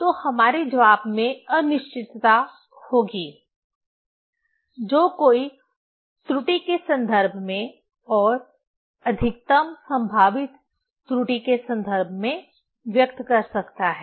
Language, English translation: Hindi, So, in our answer there will be uncertainty that one can express in terms of error and in terms of maximum possible error